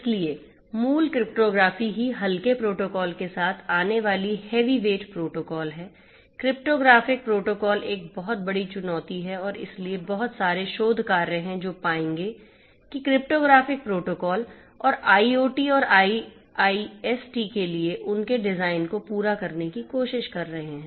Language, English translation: Hindi, So, original cryptography itself is heavy weight coming up with light weight protocols cryptographic protocols is a huge challenge and so there are lots of research work one would find which are trying to cater to cryptographic protocols and their design for IoT and IIoT